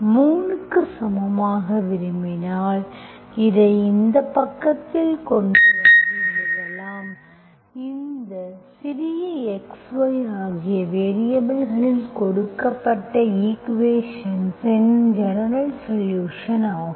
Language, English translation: Tamil, If you really want equal to 3, you can bring it on this side and write it like this, this is your general solution of given equation in the variables small x, small y